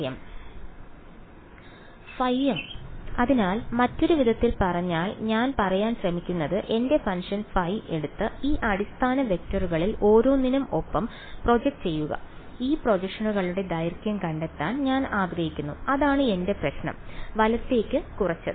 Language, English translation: Malayalam, Phi m right; so, in other words what I am trying to say is that take my function phi and project it along each of these basis vectors and I want to find out the length of these projections that is what I have reduced my problem to right